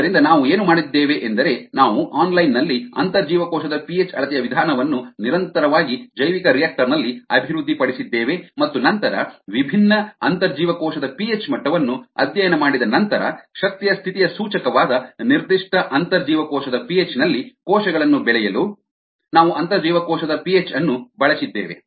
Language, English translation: Kannada, so what we did was we developed this method of intracellular p h measurement online, continuously in the bioreactor, and then we use intracellular p h to grow cells at a particular intracellular p h, which is indicator of energy status, after studying that different intracellular p h levels indicate different metabolic conditions in the cell